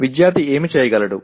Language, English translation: Telugu, What should the student be able to do